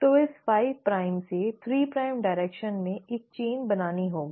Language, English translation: Hindi, So it has to make a chain in this 5 prime to 3 prime direction